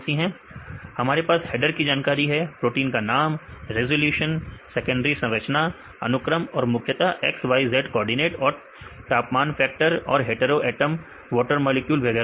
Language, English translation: Hindi, Right we have the header information, name of the protein and the resolution and the secondary structures, sequence and mainly the xyz coordinates right along with the occupancy, and the temperature factors, and hetero atoms right water molecules and so on